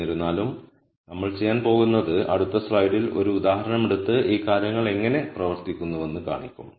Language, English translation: Malayalam, However, what we are going to do is in the next slide we will take an example and then show you how these things work